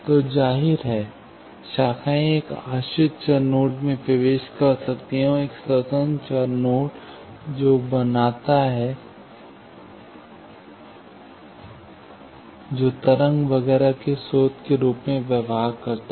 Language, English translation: Hindi, So, obviously, branches can enter a dependent variable node; and, an independent variable node, that makes, that behaves as a source of the wave etcetera